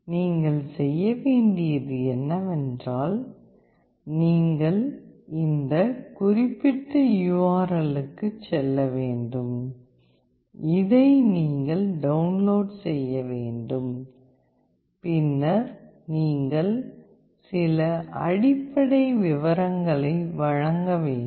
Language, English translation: Tamil, All you need to do is that you need to go this particular URL, you need to download this, and then you have to provide some basic details